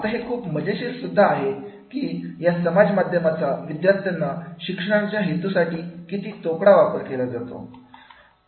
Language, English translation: Marathi, Now this is very also interesting that is the social media, how much it had been used for the purpose of the teaching to the students